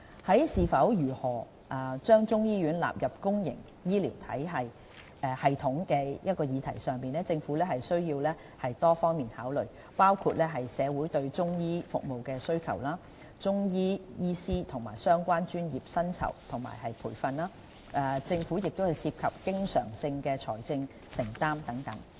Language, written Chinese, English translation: Cantonese, 在是否及如何將中醫藥納入公營醫療系統的議題上，政府需作多方面的考慮，包括社會對中醫服務的需求、中醫師及相關專業的薪酬及培訓、政府涉及的經常性財政承擔等。, As regards whether and how Chinese medicine should be incorporated into the public health care system the Government needs to give consideration to various aspects including the public demand for Chinese medicine services salaries and training of Chinese medicine practitioners and professions related to Chinese medicine services as well as the recurrent financial commitments of the Government